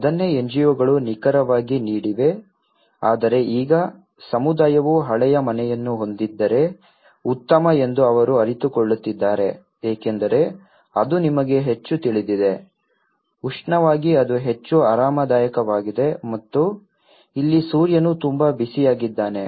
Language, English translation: Kannada, That is what exactly the NGOs have given but now, they are realizing that a community it is better have a old house because it is much more you know, thermally it is more comfortable and here, sun is very hot